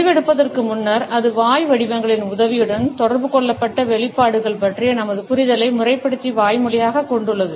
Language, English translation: Tamil, Before the decision is made and it is formalized and verbalized our understanding of expressions which have been communicated with the help of mouth shapes